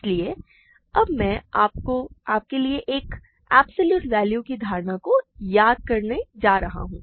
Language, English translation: Hindi, So, now I am going to recall for you the notion of an absolute value